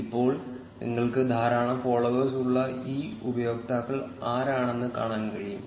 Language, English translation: Malayalam, Now, you will be able to see which are these users which have a large number of followers